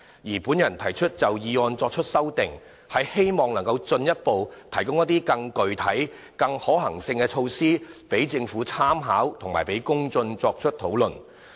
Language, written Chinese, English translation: Cantonese, 至於我就議案提出的修正案，是希望能進一步提供更具體和可行的措施讓政府參考，以及讓公眾作出討論。, As for my proposed amendment to the motion I hope to provide more specific and feasible measures for consideration by the Government and discussion by the public